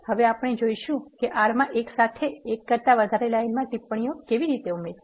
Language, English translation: Gujarati, Now we will see how to add comments to multiple lines at once in R